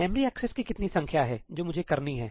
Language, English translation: Hindi, What is the number of memory accesses I have to do